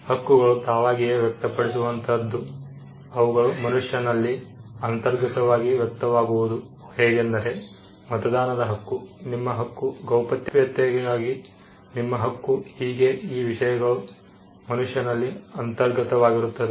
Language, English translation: Kannada, Rights may express itself, inherently in a human being like what we say about human rights, your right to vote, your right to be, your right to privacy these are things which are inherent in a human being